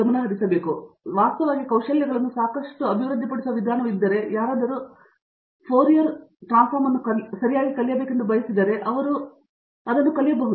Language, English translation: Kannada, So, if there is way by which we can actually develop lot of skills for example, things like if somebody wants to learn Fourier transform right, he needs to go to some place and learn it